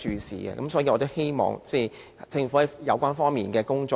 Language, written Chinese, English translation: Cantonese, 所以，我希望政府加強有關方面的工作。, It warrants our attention . For this reason I hope the Government can strengthen its work in this respect